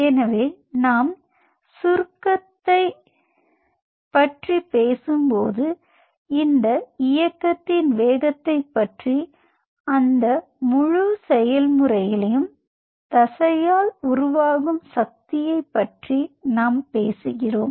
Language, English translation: Tamil, so when we talk about the contraction we talked about the speed of this movement we are essentially talking about the force being generated by the muscle in that whole process